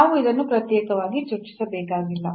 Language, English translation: Kannada, So, we do not have to discuss this separately